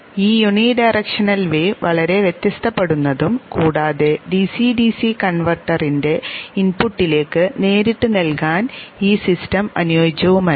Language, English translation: Malayalam, This unidirectional wave shape is highly varying and this is still further not compatible directly to be given to the input of the DCDC converter